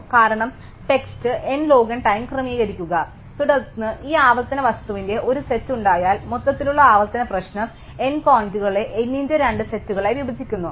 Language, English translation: Malayalam, Because, sorting takes n log n time then having set of this recursive thing the overall recursive problem divides n points into two sets of n by 2